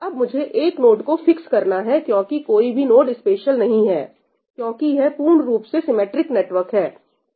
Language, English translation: Hindi, I will fix one of the nodes because no node is special , because it is totally a symmetric network